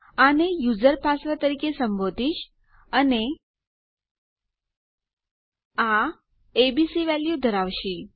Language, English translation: Gujarati, Ill call it user password and that will have the value abc